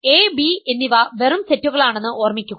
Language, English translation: Malayalam, Remember A and B are just sets